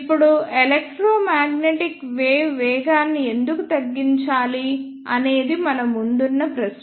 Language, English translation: Telugu, Now, the question is why we need to slow down the electromagnetic waves